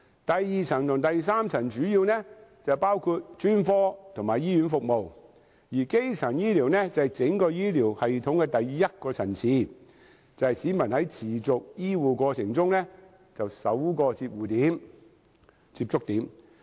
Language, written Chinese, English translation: Cantonese, 第二層及第三層醫療主要包括專科和醫院服務，而基層醫療則是整個醫療系統的第一個層次，也是你和你家人在持續醫護過程中的首個接觸點。, Secondary and tertiary care mainly include specialist and hospital services while primary care is the first level of care in the whole health care system and is also the first point of contact for you and your family members in a continuing health care process